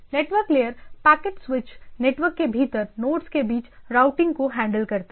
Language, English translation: Hindi, Network layer handles routing among nodes within the packet switched network